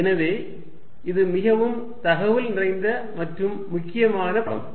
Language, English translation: Tamil, So, this is quite an instructive and important lecture